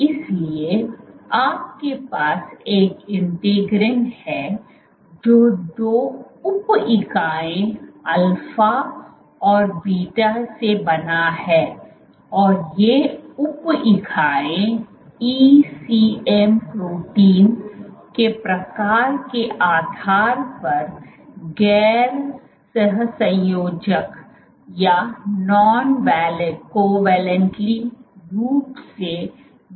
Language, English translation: Hindi, So, these are alpha and beta and these sub units are non covalently linked depending on the type of ECM protein